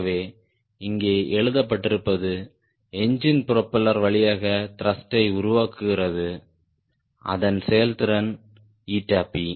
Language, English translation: Tamil, and we are now telling: the engine produces thrust via propeller, which has efficiency n p